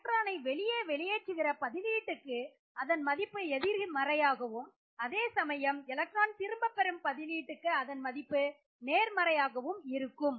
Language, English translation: Tamil, For electron releasing substituents the value is negative whereas for electron withdrawing substituents the value is positive